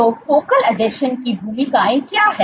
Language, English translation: Hindi, So, what are the roles of focal adhesions